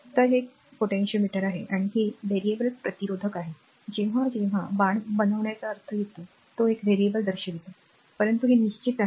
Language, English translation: Marathi, So, this is a potentiometer and this is a variable resistor, whenever making the arrow means this indicates a variable, but this is a fixed one